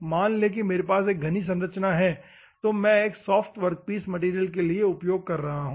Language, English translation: Hindi, Assume that I have a dense structure is there and I am using for a soft workpiece material